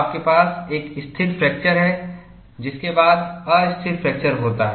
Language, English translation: Hindi, You have a stable fracture, followed by unstable fracture